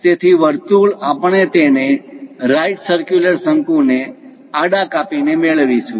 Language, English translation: Gujarati, So, circle we will get it by slicing it horizontally to a right circular cone